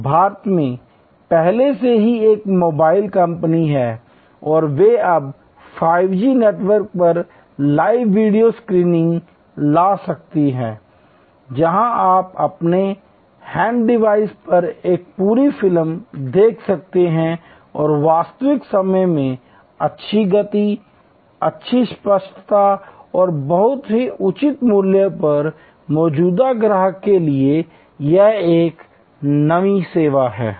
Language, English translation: Hindi, So, there is a already mobile phone company in India and they can now bring live videos streaming on 5G network, where you can see a full movie quite comfortable on your handle device and real time good speed, good clarity and at a very reasonable price; that is a new service to existing customer